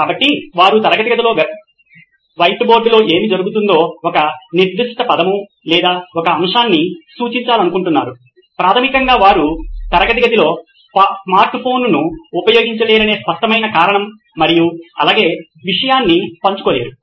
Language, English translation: Telugu, So, they want to refer a specific word or a topic what is going on white board in the classroom that they cannot do in certain classes basically because of the obvious reason that they cannot use a smart phone inside a classroom and coming to the sharing part as well